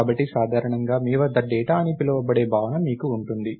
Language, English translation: Telugu, So, usually what you have is, you have the notion of what is called the data